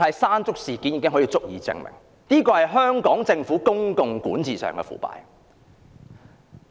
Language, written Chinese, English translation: Cantonese, "山竹"事件已足以證明政府在公共管治上的腐敗。, The incident of typhoon Mangkhut well demonstrates the Governments corruption in public governance